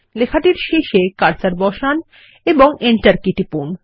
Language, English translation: Bengali, Place the cursor at the end of the text and press the Enter key